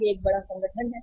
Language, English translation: Hindi, It is a large organization